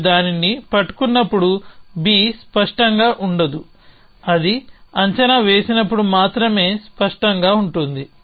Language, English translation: Telugu, So, when you are holding it B is not clear only when it predict down it is clear essentially